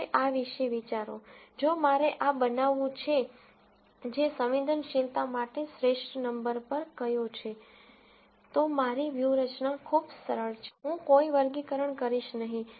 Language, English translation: Gujarati, Now, think about this, if I want to make this one, which is the best number for sensitivity, then my strategy is very simple, I will do no classification